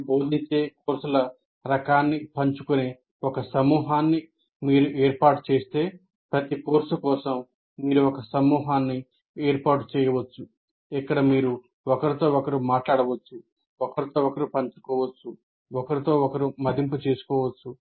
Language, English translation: Telugu, If you form a group where you share the type of courses that you teach, for each course you can form a kind of a group where you can talk to each other, share with each other, evaluate each other, and so on